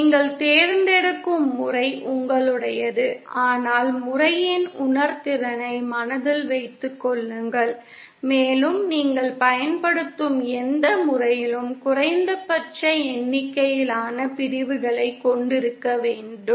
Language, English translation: Tamil, The method that you choose is up to you but keep in mind the realizeability of the method and also it should whichever method you use should contain the minimum number of segments